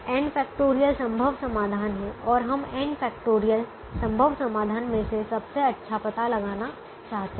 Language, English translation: Hindi, there are n factorial possible solutions and we want to find out the best out of the n factorial possible solutions